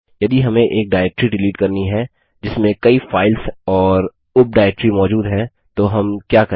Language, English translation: Hindi, What if we want to delete a directory that has a number of files and subdirectories inside